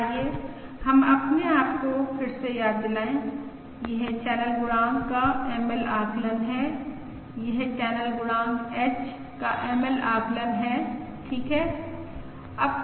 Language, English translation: Hindi, Let us remind ourselves again: this is the ML estimate of channel coefficient